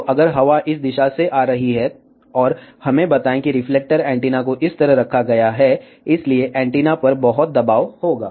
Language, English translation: Hindi, So, if the wind is coming from this direction, and let us say reflector antennas is placed like this, so there will be lot of pressure on the antenna